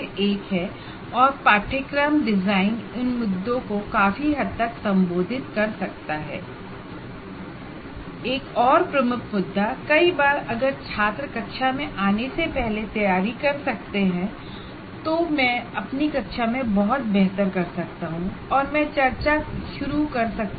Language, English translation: Hindi, And another major one, many times if the students can prepare before coming to the class, I can do in my class much better